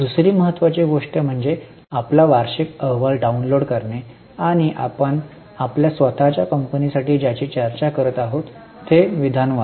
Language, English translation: Marathi, Second important thing is download your annual report and read the statement which we are discussing for your own company